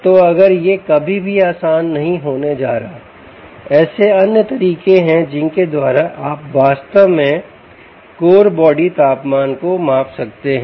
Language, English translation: Hindi, so if this is never going to be easy, there are other ways by which you can actually measure, ah, measure core body temperature